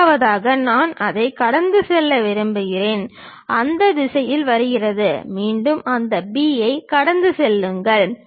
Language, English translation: Tamil, The second one I would like to pass through that, comes in that direction, again pass through that B